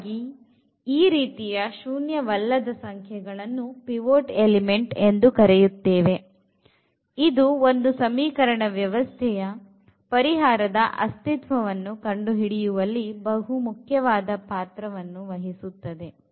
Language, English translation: Kannada, So, these such elements the such non zero elements will be called pivot because they play a very important role now discussing about the about the consistency of the solution about the existence non existence of the solution